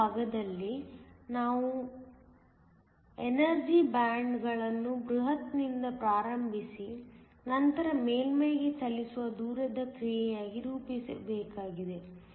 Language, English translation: Kannada, In the last part c, we need to plot the energy bands as a function of distance starting from the bulk and then moving on to the surface